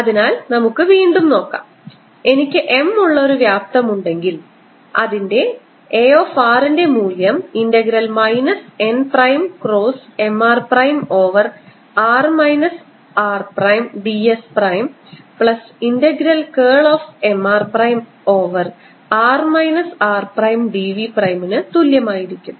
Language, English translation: Malayalam, here is a volume on which i have some m, then i can write a r as equal to integral minus n prime cross m r prime over r minus r prime d s prime plus integral curl of m r prime over r minus r prime d v prime, and this should be equivalent to a surface current k at r prime over r minus r prime d s prime plus a bulk current j r prime over r minus r prime d v prime